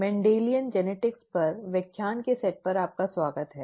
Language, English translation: Hindi, Welcome to the set of lectures on Mendelian Genetics